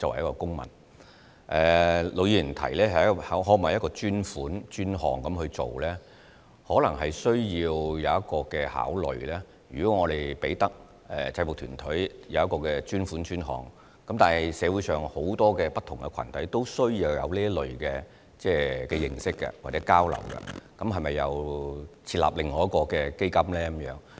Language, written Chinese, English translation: Cantonese, 陸議員提出可否以專款專項來處理，我們可能需要詳加考慮，便是如果我們為制服團體提供專款專項，而社會上很多不同群體也需要有這類的認識或交流的話，那麼是否又要設立另一些專項基金呢？, Mr LUK asked if a dedicated funding programme can be established for UGs . We may need to consider the proposal in detail because if we provide a dedicated funding programme for UGs and if different groups in society also need to conduct similar exchange programmes or enhance their members understanding does it mean that we have to set up another dedicated fund for this purpose?